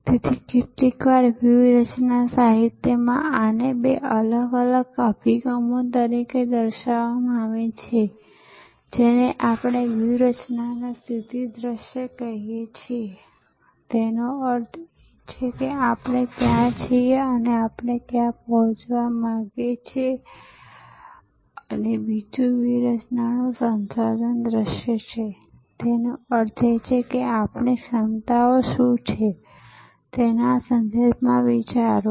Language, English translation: Gujarati, So, sometimes in strategy literature these are portrayed as two different approaches, one which we call a position view of strategy; that means, where we are and where we want to be and another is resource view of strategy; that means, think in terms of what our capabilities are